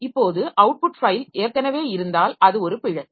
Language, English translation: Tamil, Now for the output file if the file already exists that means that is an error